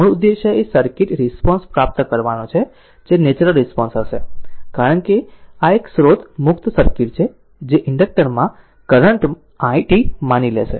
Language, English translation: Gujarati, Basic objective is to obtain the circuit response which will be natural response, because this is a source free circuit which will assume to be the current i t through the inductor